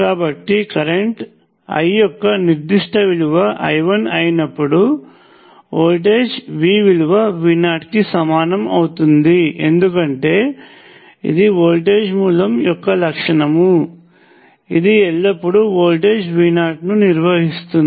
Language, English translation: Telugu, So, let say the current I is a particular value of I 1 then the voltage V will be equal to V naught because that is the property of the voltage source, it will always maintain a voltage V naught